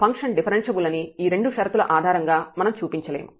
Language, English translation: Telugu, So, we cannot claim based on these two conditions that the function is differentiable